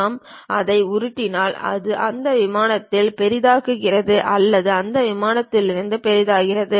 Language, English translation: Tamil, If we are scrolling it, it zoom onto that plane or zooms out of that plane